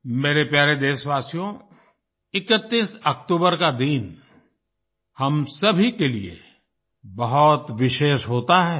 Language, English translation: Hindi, My dear countrymen, 31st October is a very special day for all of us